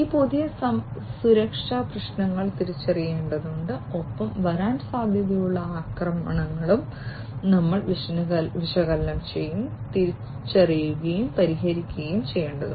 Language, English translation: Malayalam, So, these new security issues will have to be identified and the potential attacks that can come in we will also have to be analyzed, identified and then resolved